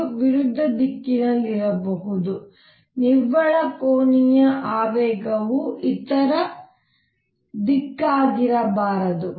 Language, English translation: Kannada, It could also be in the opposite direction the net angular momentum could be the other direction